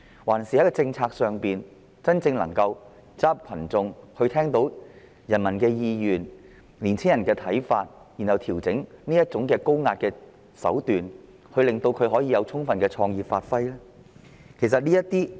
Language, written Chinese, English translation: Cantonese, 還是，政府在制訂政策時應走進群眾，聆聽人民的意願和年輕人的看法，然後調整高壓手段，讓他們充分發揮創意呢？, Or does it mean that during policy formulation the Government should go into the crowds pay heed to the will of the public and youngsters opinions and then adjust its high - handed tactics so that they can fully manifest their creativity?